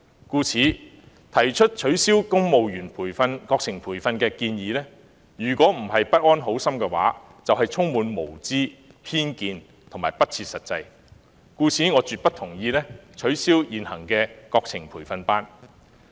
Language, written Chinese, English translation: Cantonese, 故此，提出取消公務員國情培訓建議的人，若非不安好心，便是無知、帶有偏見和不切實際，所以我絕不同意取消現行的國情培訓班。, Given this fact those who propose to abolish the civil service training on national studies must be either be wicked or really ignorant biased and unrealistic and I totally disagree to the proposal for abolishing the existing practice of offering training courses on national studies to civil servants